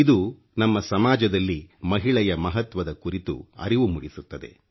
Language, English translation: Kannada, This underscores the importance that has been given to women in our society